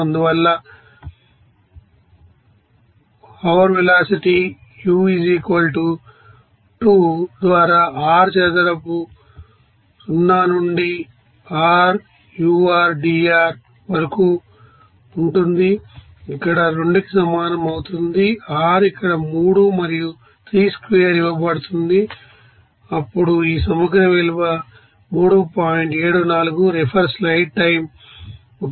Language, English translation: Telugu, Therefore hour is velocity u = 2 by r square 0 to r ur dr that will is equal to 2 by here r is given 3 then 3 square into then this integral value is 3